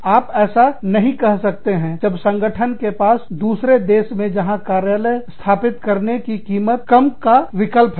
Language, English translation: Hindi, You cannot say that, when the organization has an option, of setting up an office in a country, where the cost will be much less